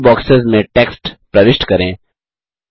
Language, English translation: Hindi, Enter text in these boxes